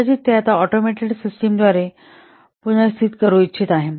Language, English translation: Marathi, Now it wants to replace it may be through one automated system